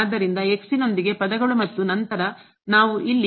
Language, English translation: Kannada, So, terms with terms with x and then we have here